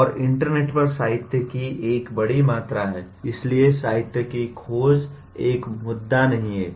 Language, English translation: Hindi, And there is a huge amount of literature on the internet, so searching for literature is not an issue